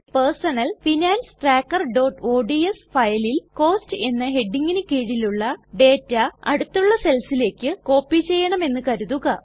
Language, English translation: Malayalam, In our Personal Finance Tracker.ods file, lets say we want to copy the data under the heading Cost to the adjacent cells